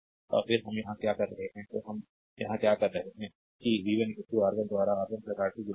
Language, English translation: Hindi, So, that what we are doing here, right; So, what we are your doing here, that v 1 is equal to R 1 by R 1 plus R 2 into v, right